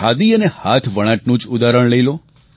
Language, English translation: Gujarati, Take the examples of Khadi and handloom